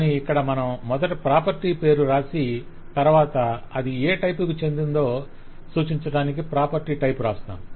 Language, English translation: Telugu, Here we first write the property name and then we put the type of which it belongs